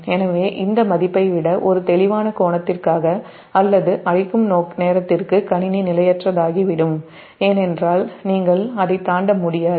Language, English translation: Tamil, so for a clearing angle or clearing time larger than this value, the system will become unstable because you cannot get beyond that